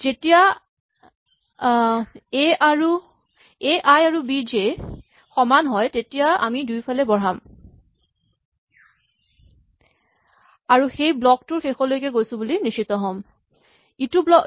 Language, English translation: Assamese, When A and A i is equal to B j will increment both sides and make sure that we go to the end of that block